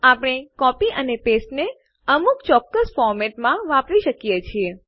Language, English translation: Gujarati, We can use copy and paste in a specific format